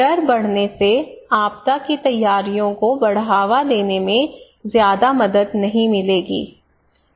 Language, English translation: Hindi, So fear, increasing fear would not help much to promote disaster preparedness right